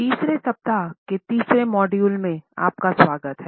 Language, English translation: Hindi, Welcome dear participants to the 3rd module of the 3rd week